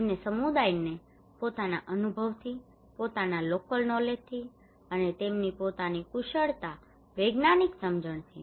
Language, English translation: Gujarati, Community from their own experience, from own local knowledge, and the expert from their own expertise scientific understanding